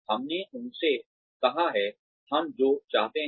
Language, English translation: Hindi, We have told them, what we want